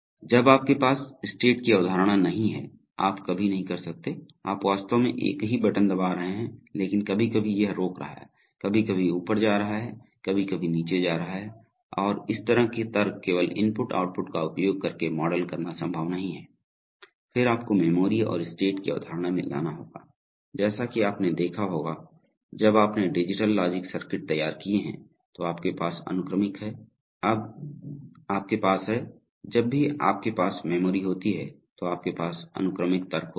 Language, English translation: Hindi, So unless you have a concept of state, you can never, you are actually pressing the same button but sometimes it is stopping, sometimes is moving up, sometimes moving down and this kind of logic it is not possible to model using only input output, then you have to bring in the concept of memory and state, as you might have noticed when you have designed digital logic circuits, so you have sequential, when you have, whenever you have memory, you have sequential logic